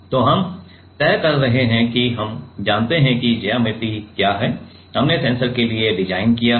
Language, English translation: Hindi, So, we are deciding we know that what is the geometry; we have designed for the sensor is